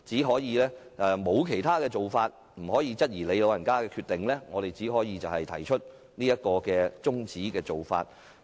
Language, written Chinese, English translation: Cantonese, 所以，在沒有其他做法，又不能質疑主席所作的決定，我們只能提出中止待續議案。, Thus given that we have no alternative and cannot question the Presidents decision we can only move an adjournment motion